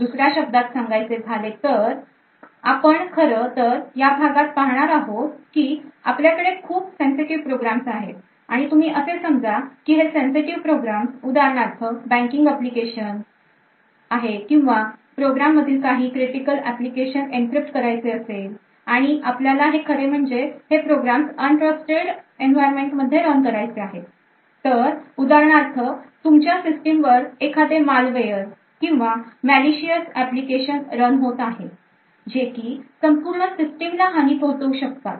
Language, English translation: Marathi, So, in other words what we actually discuss in these lectures is that we have a very sensitive program and you could consider this sensitive program for example say a banking application or this program wants to do encryption of very critical data and we want to actually run this particular program in an environment which is untrusted, So, for example you may have a malware or any other malicious applications running in your system which has compromise the entire system